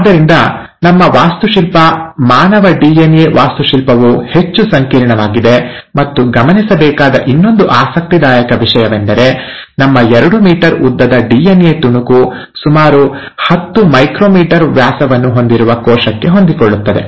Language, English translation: Kannada, So our architecture, the architecture of human DNA, is far more complex, and it's interesting to note that our two meter long piece of DNA fits into a cell which has a diameter of about 10 micrometers